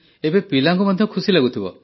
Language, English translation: Odia, So now even the children must be happy